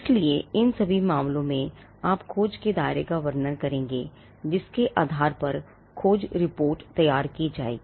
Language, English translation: Hindi, So, in all these cases, you would be describing the scope of the search based on which the search report will be generated